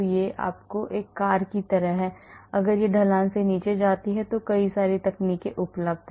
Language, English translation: Hindi, it is like a car if it comes down the slope so there are many techniques available